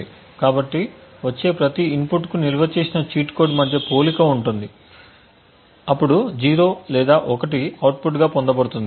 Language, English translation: Telugu, So, for each input that comes there is a comparison done between the cheat code stored and a output of 0 or 1 is then obtained